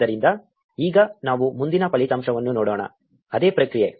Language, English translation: Kannada, So, now, let us look at the next result; same process